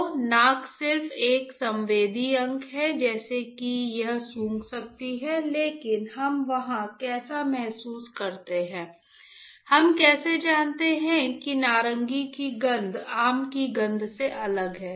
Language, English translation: Hindi, So, then the nose is just a sensory organ like it can smell, but how we feel there like how we know that the smell of orange who is different compared to smell of a mango right